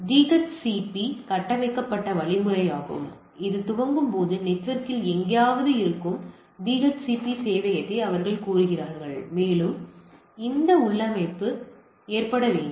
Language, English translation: Tamil, They are DHCP configured means while booting ideally they request for the DHCP server which is somewhere in the network and it gets that configuration to be loaded